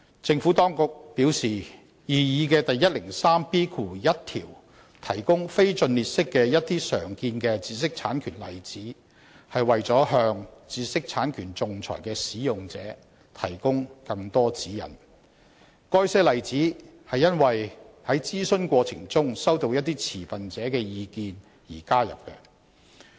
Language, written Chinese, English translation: Cantonese, 政府當局表示，擬議的第 103B1 條提供一些非盡列式的常見的知識產權例子，是為了向知識產權仲裁的使用者提供更多指引，該些例子是因應在諮詢過程中收到一些持份者的意見而加入。, The Administration has advised that an non - exhaustive list of some common examples of IPRs is provided under the proposed section 103B1 for the purpose of providing more guidance to users of intellectual property IP arbitration . These examples are added to the Bill in light of the suggestions collected from some stakeholders in the consultation exercise